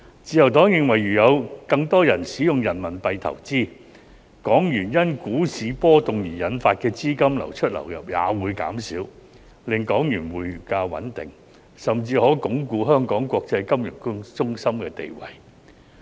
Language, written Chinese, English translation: Cantonese, 自由黨認為如有更多人使用人民幣投資，港元因股市波動而引發的資金流出、流入也會減少，令港元匯價穩定，甚至可鞏固香港國際金融中心的地位。, The Liberal Party opines that if more people use RMB for investment the outflow and inflow of capital in HKD due to fluctuations in the stock market will be reduced thereby stabilizing the exchange rate of HKD and even consolidating Hong Kongs status as an international financial centre